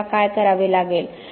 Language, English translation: Marathi, What do we have to do